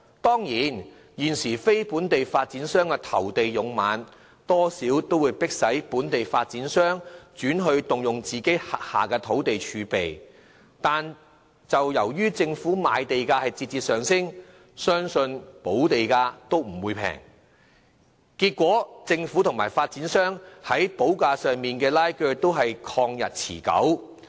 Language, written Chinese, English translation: Cantonese, 當然，現時非本地發展商投地勇猛，多少迫使本地發展商轉而動用自己的土地儲備，但由於政府賣地價節節上升，相信補地價亦不會便宜，結果政府和發展商在補價上的拉鋸便曠日持久。, As non - local developers have been very aggressive in bidding for land local developers have more or less been forced to use the land in their land reserve . However as the sale prices of government land are ever rising private developers will certainly be asked to pay a substantial amount of land premium thus resulting in a time - consuming process of negotiation on the amount of land premium payable between them and the Government